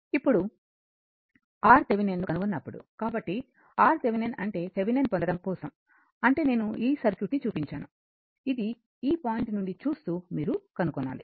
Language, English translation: Telugu, So, R Thevenin means your for getting Thevenin I showed you the circuit, this is for looking from this point you have to find out